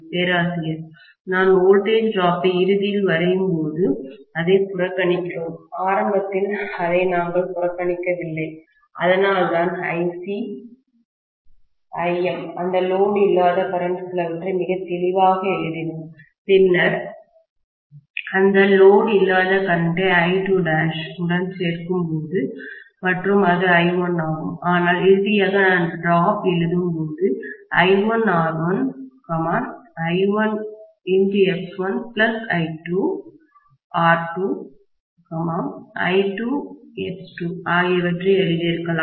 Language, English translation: Tamil, We are neglecting when finally we drew the voltage drop, we did not neglect it initially, that is why we wrote very clearly Ic, Im, some of that is no load current, then that no load current be added to I2 dash and we said that that was I1, but finally when I was writing the drop, I could have written I1 times R1, I1 times X1 plus I2 times R2, I2 times X2